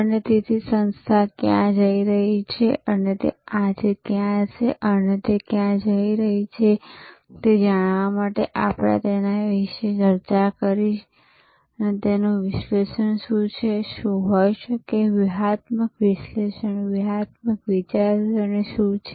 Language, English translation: Gujarati, And, so to know where the organization is headed, where it is today and where it is going, so that is what we discussed about, what is and what could be by analyzing it, that is in nutshell, what strategic analysis strategic thinking is all about